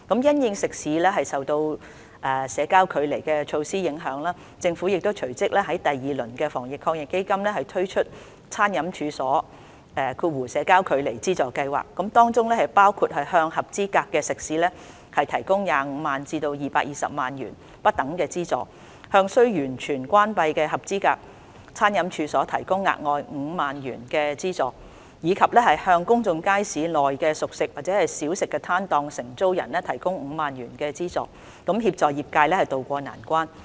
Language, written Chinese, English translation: Cantonese, 因應食肆受到社交距離措施影響，政府隨即於第二輪的防疫抗疫基金推出餐飲處所資助計劃，包括向合資格食肆提供25萬元至220萬元不等的資助，向須完全關閉的合資格餐飲處所提供額外5萬元的資助，以及向公眾街市內的熟食/小食攤檔的承租人提供5萬元資助，以協助業界渡過難關。, Considering the impact of social distancing measures on catering outlets the Government has subsequently launched the Catering Business Subsidy Scheme which involves the provision of a subsidy ranging from 250,000 to 2.2 million to eligible catering outlets an additional subsidy of 50,000 for eligible catering outlets that are required to close their premises completely and a subsidy of 50,000 for tenants of cooked foodlight refreshment stalls at public markets so as to help the sector to tide over this difficult time